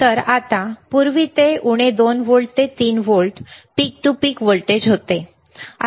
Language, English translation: Marathi, So now, the instead of earlier it was minus 2 volts to 3 volts peak to peak voltage